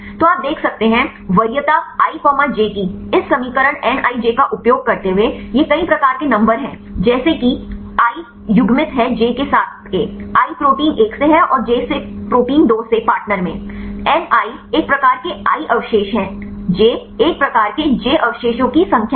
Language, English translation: Hindi, So, you can see preference of i comma j using this equation nij this a number of types of i paired with j, i from the protein one and j from the protein two in the partner and N i is a number of types residue i and j is the number of residues of type j right